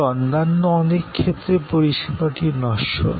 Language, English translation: Bengali, But, in many other cases, service is perishable